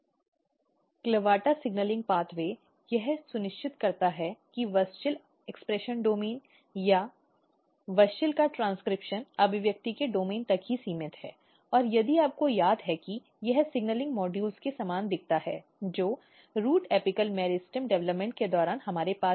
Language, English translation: Hindi, CLAVATA signaling pathway ensures that WUSCHEL expression domain or transcription of WUSCHEL is restricted to domain of expression, and if you recall this looks quite similar to the signaling modules, which we have during the root apical meristem development